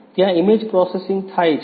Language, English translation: Gujarati, There the image processing takes place